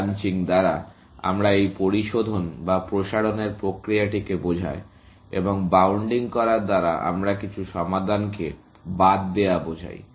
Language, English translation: Bengali, By branching, we mean this process of refinement, or extension, and by bounding, we mean excluding some solutions